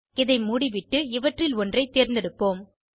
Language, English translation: Tamil, SO let me close this , so let me choose one of these